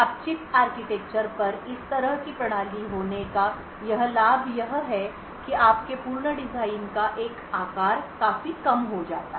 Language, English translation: Hindi, Now the advantage of having such a System on Chip architecture is that a size of your complete design is reduced considerably